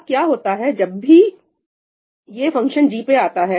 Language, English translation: Hindi, Now, what happens when it comes to the function g